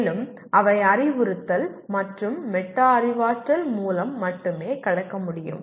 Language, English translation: Tamil, And that they can only be overcome through instruction and metacognition